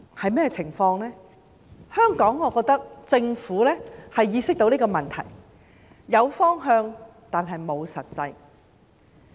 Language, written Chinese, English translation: Cantonese, 我認為香港政府意識到問題所在，有方向，但沒有實際行動。, I believe the Hong Kong Government is aware of the problem but it has not taken any practical actions even though it has a direction